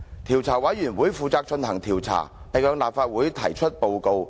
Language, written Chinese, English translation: Cantonese, 調查委員會負責進行調查，並向立法會提出報告。, The committee shall be responsible for carrying out the investigation and reporting its findings to the Council